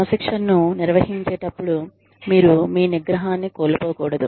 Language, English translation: Telugu, When administering discipline, you should not lose your temper